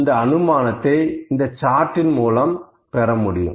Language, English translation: Tamil, So, this inference can be drawn from this